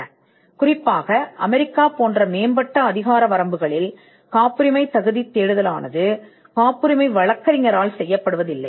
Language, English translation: Tamil, By convention, especially in the advanced jurisdictions like United States, a patentability search is not done by the patent attorney